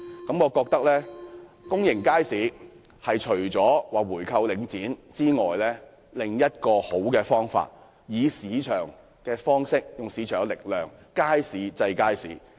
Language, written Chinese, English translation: Cantonese, 我認為要解決公營街市的問題，除了回購領展外，另一個好辦法是用市場力量，以街市制衡街市。, To solve the problem of public markets besides buying back shares of Link REIT another effective solution is to use market forces to counteract markets with markets